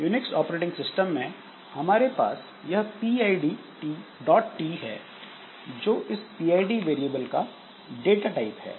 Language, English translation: Hindi, So, in case of this Unix operating system, so we have got this PID T so that is the data type for this PID variable